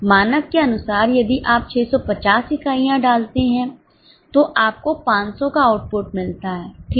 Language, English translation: Hindi, As per the standard, if you put in 650 units, you get output of 500